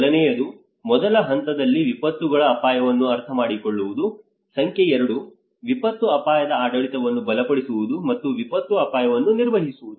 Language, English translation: Kannada, Number one, understanding the disasters risk in the first stage, number 2, strengthening the disaster risk governance and the manage disaster risk